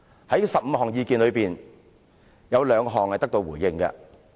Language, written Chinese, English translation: Cantonese, 在15項意見中，有兩項得到回應。, Among the 15 suggestions two have been addressed